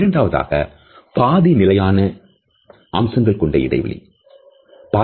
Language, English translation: Tamil, The second is the semi fixed feature space